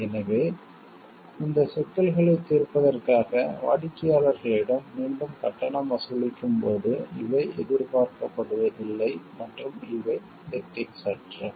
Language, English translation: Tamil, So, that when they can charge the clients again for resolving these issues these are not expected and these are unethical